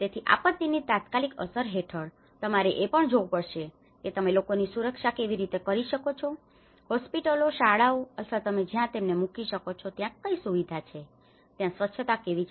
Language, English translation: Gujarati, So, under the any immediate impact of a disaster one has to look at how you can safeguard the people, what are the facilities the basic like hospitals, schools or where you can put them, how the sanitation facilities